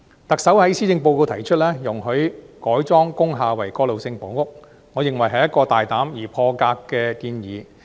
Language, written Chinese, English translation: Cantonese, 特首在施政報告提出容許改裝工廈為過渡性房屋，我認為是大膽而破格的建議。, In the Policy Address the Chief Executive floated the idea of allowing the conversion of industrial buildings for transitional housing . I find such a proposal bold and groundbreaking